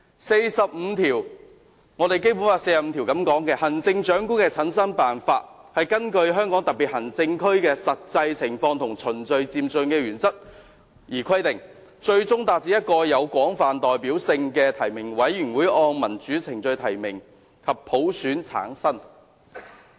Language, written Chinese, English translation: Cantonese, 《基本法》第四十五條訂明，"行政長官的產生辦法根據香港特別行政區的實際情況和循序漸進的原則而規定，最終達至由一個有廣泛代表性的提名委員會按民主程序提名後普選產生的目標。, Article 45 of the Basic Law stipulates that [t]he method for selecting the Chief Executive shall be specified in the light of the actual situation in the Hong Kong Special Administrative Region and in accordance with the principle of gradual and orderly progress . The ultimate aim is the selection of the Chief Executive by universal suffrage upon nomination by a broadly representative nominating committee in accordance with democratic procedures